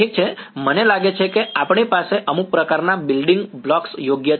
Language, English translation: Gujarati, Ok so, I think we have a some sort of building blocks are correct